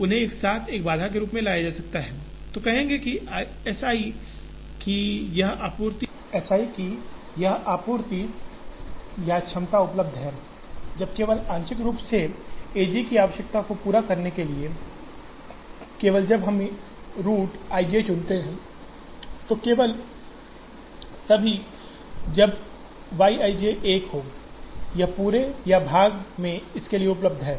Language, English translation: Hindi, They can be brought together into a single constraint, which will say that, this supply or capacity of S i is available, only when to meet the requirement of a j partly, only when we choose the root i j, so only if Y i j is 1, this in whole or part is available for this